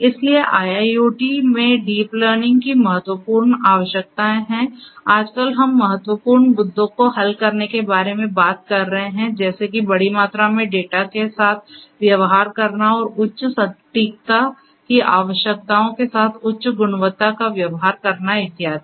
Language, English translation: Hindi, So, the critical requirements of deep learning in IIoT are that nowadays we are talking about solving critical issues such as, dealing with large quantity of data and also dealing with higher accuracy requirements higher quality and so on